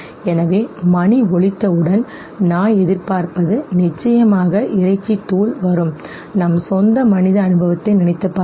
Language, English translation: Tamil, So that once the bell is rung the dog would anticipate now definitely the meat powder will come, think of our own human experience